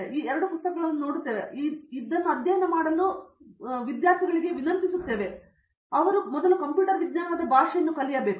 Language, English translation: Kannada, We will now request them to go and look at these two books and study this; this language of computer science has to come